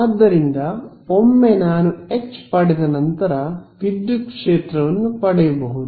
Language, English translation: Kannada, So, once I have got H, I am done I can get my electric field how; by taking